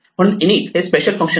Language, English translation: Marathi, So, init is a special function